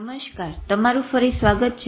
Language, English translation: Gujarati, Hello and welcome again